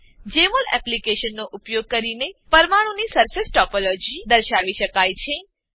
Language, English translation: Gujarati, Surface topology of the molecules can be displayed by using Jmol Application